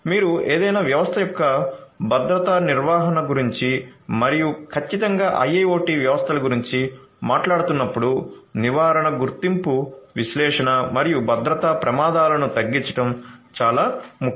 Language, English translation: Telugu, Prevention detection analysis and mitigation of security risks are very important when you are talking about security management of any system and definitely for IIoT systems